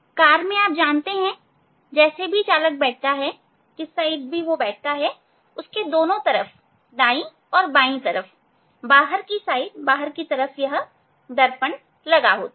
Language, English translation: Hindi, in car you know this; however, driver is sitting, seen both the driver this form seats, left side and side, so outside the side mirrors are there